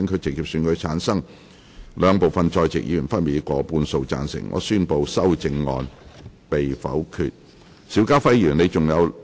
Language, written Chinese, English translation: Cantonese, 由於議題獲得兩部分在席議員分別以過半數贊成，他於是宣布修正案獲得通過。, Since the question was agreed by a majority of each of the two groups of Members present he therefore declared that the amendment was passed